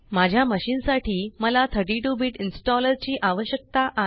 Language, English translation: Marathi, For my machine, I need 32 Bit installer